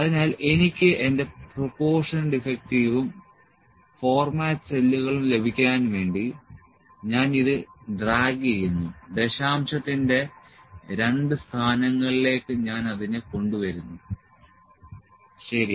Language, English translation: Malayalam, So, I will just drag this to get my proportion defective and format cells, I will bring it to two places of decimal, ok